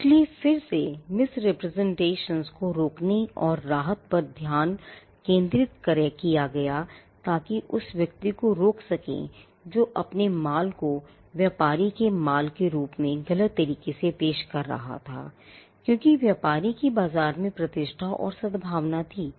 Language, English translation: Hindi, So, again the focus was on preventing misrepresentation and the relief offered was to stop the person, who was misrepresenting his goods as the goods of the trader, because trader had a reputation and goodwill in the market